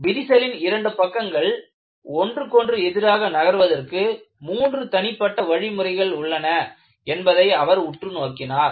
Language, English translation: Tamil, And, he observed that there are three independent ways, in which the two crack surfaces can move with respect to each other